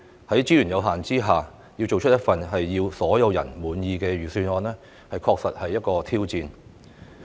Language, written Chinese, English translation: Cantonese, 在資源有限下，要做出一份令所有人滿意的預算案確實是一項挑戰。, It is indeed a challenge to draw up a Budget that pleases everyone within the constraints of resources